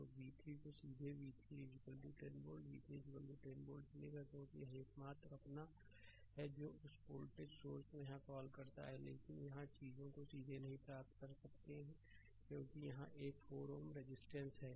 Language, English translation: Hindi, So, v 3 directly you will get v 3 is equal to 10 volt right v 3 is equal to 10 volt directly you will get it because this is the only your what you call that voltage source here, but here here you will you will not get the things directly right because here one ohm resistance is there